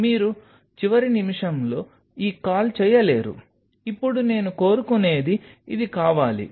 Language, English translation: Telugu, You cannot make this call at the last minute, that now I want this that wants to want